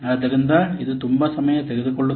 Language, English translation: Kannada, So, it is very much time consuming